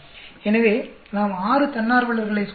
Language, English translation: Tamil, So, we tested on six volunteers